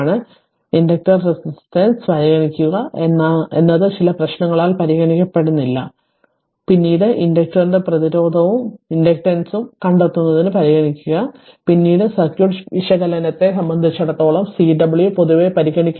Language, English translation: Malayalam, So, we only consider inductor resistance we generally not consider for some problem we also consider to find out the resistance and inductance of the inductor that we will see later and Cw generally we do not consider for our as far as our circuit is considered circuit analysis is concerned